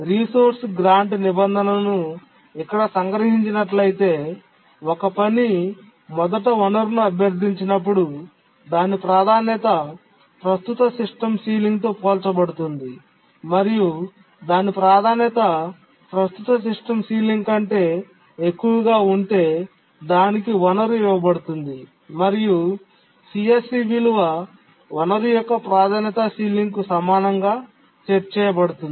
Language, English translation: Telugu, In the resource grant clause, the task's priority is checked with the current system sealing and if its priority is greater than the current system ceiling then it is granted the resource and the current system sealing is set to be equal to the ceiling value of the resource that was granted